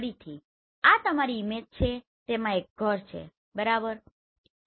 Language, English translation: Gujarati, Again this is your image and there is a house right